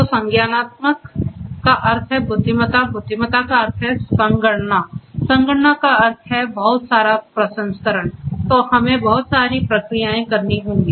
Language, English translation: Hindi, So, cognitive means intelligence, intelligence means computation, computation means you know computation means like you know lot of processing we will have to be done right lot of processing